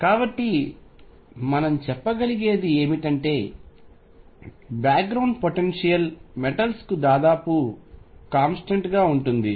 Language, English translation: Telugu, So, what we can say is that the background potential is nearly a constant for the metals